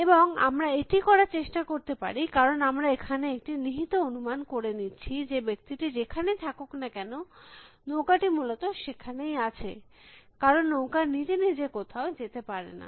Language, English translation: Bengali, And we can effort to do that, because we make an implicit assumption that, wherever the man is the boat is there essentially, because the boat cannot go by itself some were